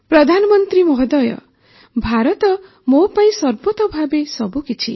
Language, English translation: Odia, Prime minister ji, India means everything to me